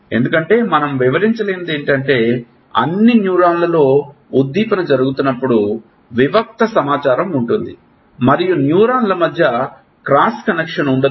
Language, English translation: Telugu, Because, what we cannot explain is that when stimulus is going in all the nerves carry discrete information and the cross connection between neurons are not there